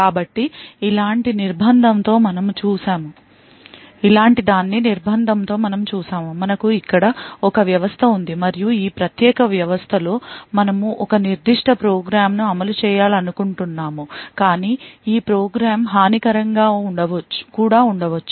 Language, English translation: Telugu, So, with confinement we had looked at something like this, we had a system over here and within this particular system we wanted to run a particular program and this program may be malicious